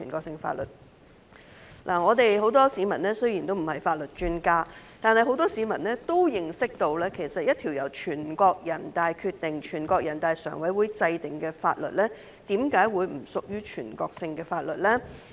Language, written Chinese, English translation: Cantonese, 雖然很多市民不是法律專家，但也認識到一項由全國人大常委會制定的法律，為何不屬於全國性的法律？, Although many members of the public are not legal experts they fail to understand why a law enacted by NPCSC is not a national law